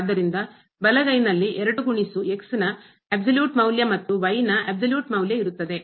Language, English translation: Kannada, So, the right hand side will become 2 absolute value of and absolute value of